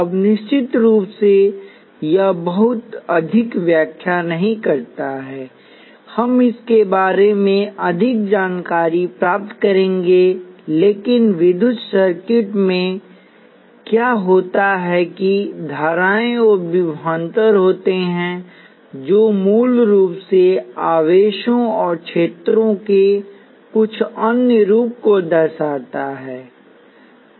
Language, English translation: Hindi, Now of course, that does not explain too much we will get into more details of that, but what happens in electrical circuits is that there are currents and voltages which are basically some other representations of charges and fields